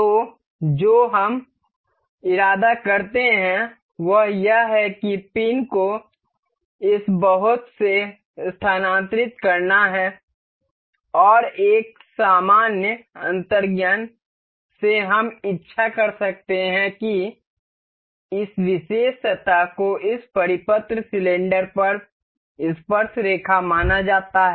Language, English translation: Hindi, So, what we intend is this pin is supposed to move through this lot, and from a general intuition we can we wish that this particular surface is supposed to be tangent on this circular cylinder